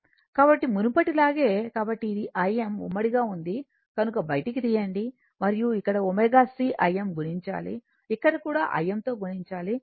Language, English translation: Telugu, So, same as before, so this is I m you take common, and here it is given omega c I m multiplied, here also I m multiplied